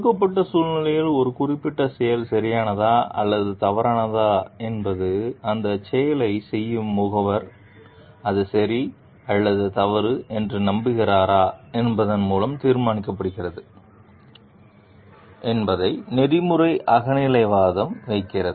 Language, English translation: Tamil, Ethical subjectivism holds that whether a certain act is right or wrong in a given situation is determined by whether the agent performing that act believes that it is right or wrong